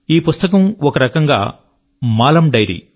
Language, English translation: Telugu, This book, in a way, is the diary of Maalam